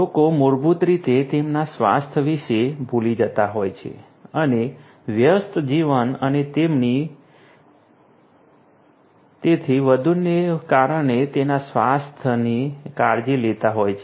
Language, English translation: Gujarati, People basically tend to forget about their health and taking care of their health due to busy life and so on